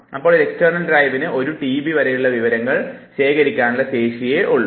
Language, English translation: Malayalam, Now that the external drive can store information only up to one tb